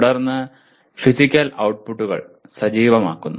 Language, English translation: Malayalam, Then activating the physical outputs